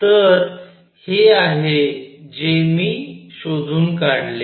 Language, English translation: Marathi, So, this is what I figured out